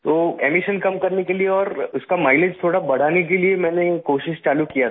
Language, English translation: Hindi, Thus, in order to reduce the emissions and increase its mileage by a bit, I started trying